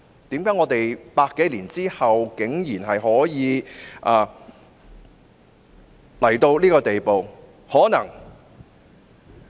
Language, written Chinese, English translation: Cantonese, 為何我們在100多年後，竟然可以到了如此地步？, Why after more than 100 years have we come to such a pass?